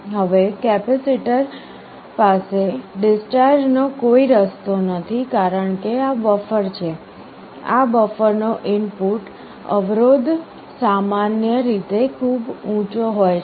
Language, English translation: Gujarati, Now the capacitor does not have any path to discharge because this is a buffer, the input resistance of this buffer is typically very high